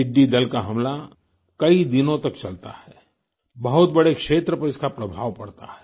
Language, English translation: Hindi, The locust attack lasts for several days and affects a large area